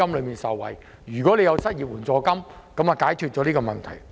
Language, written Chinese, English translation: Cantonese, 如果政府可以提供失業援助金，便可解決相關問題。, If the Government can provide unemployment assistance the problems concerned will be solved